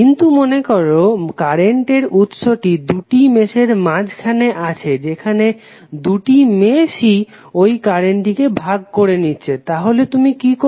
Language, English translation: Bengali, But suppose if the current source exist between two meshes where the both of the meshes are sharing the current source then what you have to do